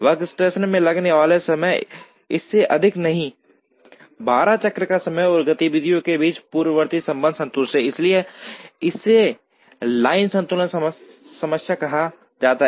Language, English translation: Hindi, The time taken in a workstation does not exceed the cycle time 12, and the precedence relationships among the activities are satisfied, so this is called the line balancing problem